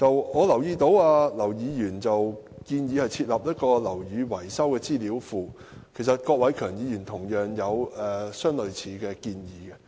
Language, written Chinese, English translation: Cantonese, 我留意到劉議員建議設立"樓宇維修資料庫"，郭偉强議員亦提出了類似的建議。, I noticed that Mr LAU proposes the establishment of a database on building maintenance . Mr KWOK Wai - keung also made a similar proposal